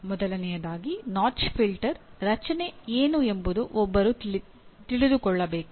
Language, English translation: Kannada, First of all one should know what is the notch filter structure